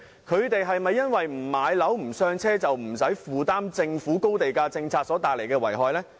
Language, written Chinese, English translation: Cantonese, 他們不買樓"上車"，是否便不用承擔政府高地價政策所帶來的遺害？, Do they not suffer from the consequences of the Governments high land price policy simply because they have not purchased any property?